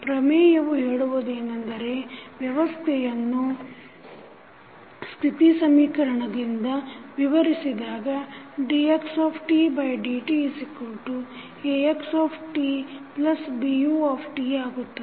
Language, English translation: Kannada, Theorem says that for the system described by the state equation that is dx by dt is equal to Ax plus Bu